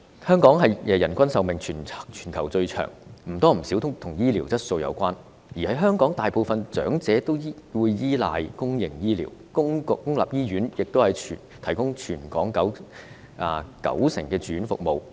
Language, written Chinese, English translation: Cantonese, 香港人均壽命全球最長，或多或少與醫療質素有關，而香港大部分長者依賴公營醫療，公立醫院亦提供全港九成的住院服務。, Hong Kong has the longest average life expectancy in the world which is somehow related to the quality of health care services . Moreover the majority of the elderly in Hong Kong rely on public health care services and public hospitals provide 90 % of inpatient services in Hong Kong